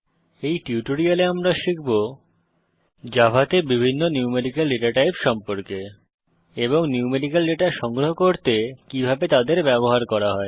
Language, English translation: Bengali, In this tutorial, we will learn about: The various Numerical Datatypes available in Java and How to use them to store numerical data